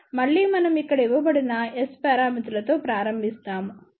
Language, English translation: Telugu, Again, we start with the S parameters which are given over here